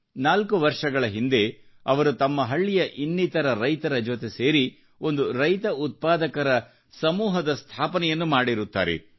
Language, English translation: Kannada, Four years ago, he, along with fellow farmers of his village, formed a Farmer Producer's Organization